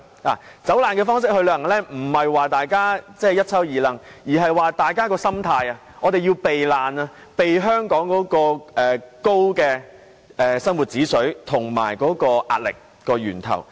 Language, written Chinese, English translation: Cantonese, 以"走難"方式去旅行並非指大家要攜帶大包小包，而是大家的心態是要避難，避開香港的高生活指數及壓力源頭。, Joining tours to flee Hong Kong does not mean that we are refugees fleeing with all our belongings only that we have a fleeing mentality trying to run away from the high cost of living and the source of high pressure